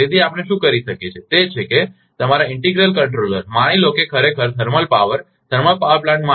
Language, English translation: Gujarati, So, what we can do is that, your integral controller suppose is needed actually actually for a thermal power, thermal power plant